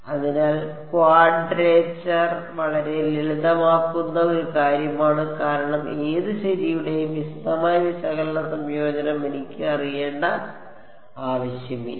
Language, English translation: Malayalam, So, quadrature is a very greatly simplifying thing because it does not need me to know the detailed analytical integration of whatever right